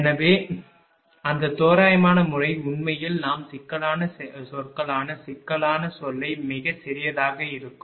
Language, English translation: Tamil, So, that is why that approximate method actually we do not use that complex term complex term will be very small